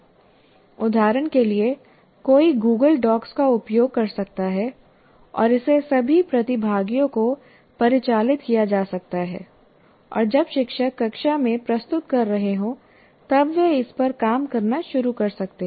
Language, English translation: Hindi, For example, one can use what you can call as Google Docs and it can be given to all the participants and they can start working on it while the teacher is presenting in the class